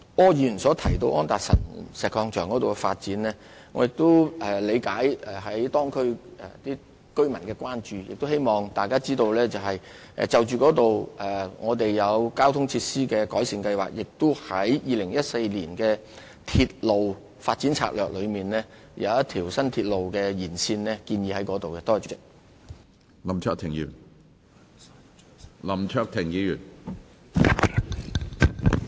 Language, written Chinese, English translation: Cantonese, 柯議員剛才提到安達臣道石礦場的發展，我理解當區居民的關注，亦希望大家知道，我們已就當區的交通情況擬定交通設施改善計劃，並已在《鐵路發展策略2014》中，建議在該區規劃新的鐵路延線。, Mr Wilson OR has just touched upon the development of the Anderson Road Quarry . I understand the concerns of the residents in the area and I hope Members would know that we have worked out projects to improve transport facilities in light of the traffic situation in the area and have proposed in the Railway Development Strategy 2014 that a new railway extension be planned in the area